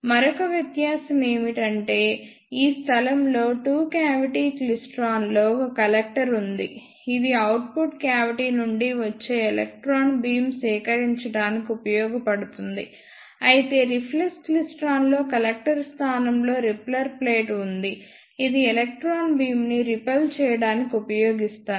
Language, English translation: Telugu, And the another difference is that in two cavity klystron at this place there is a collector which is used to collect the electron beam coming from the output cavity; whereas in reflex klystron there is repeller plate in place of the collector which is used to repel the electron beam